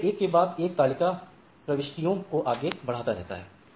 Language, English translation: Hindi, So, it goes on forwarding the table one after another right